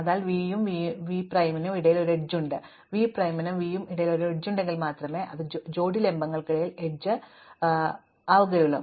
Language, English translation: Malayalam, So, there is an edge between v and v prime, if and only if there is an edge between v prime and v, so there is only one edge between any pair of vertices